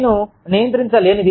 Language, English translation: Telugu, What i cannot control